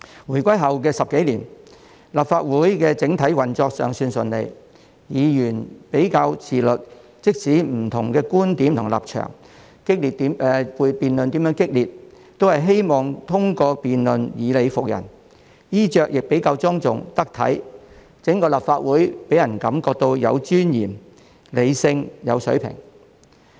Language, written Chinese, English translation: Cantonese, 回歸後10多年，立法會的整體運作尚算順利，議員比較自律，即使有不同觀點和立場，有激烈的辯論，都希望通過辯論以理服人，衣着亦比較莊重、得體，整個立法會予人的感覺是有尊嚴、理性及有水平。, More than a decade after Hong Kongs reunification with the country the overall operation of the Legislative Council had been smooth as Members then were generally self - disciplined . Even there were dissenting views different standpoints and heated debates; Members would try to convince the others by reasons in debates . Members were generally decently attired thus the then Legislative Council as a whole gave the public an overall impression of dignity rationality and a certain level of capability